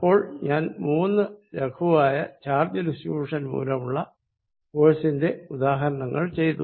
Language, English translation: Malayalam, So, I have solved three examples simple examples of forces due to charge distribution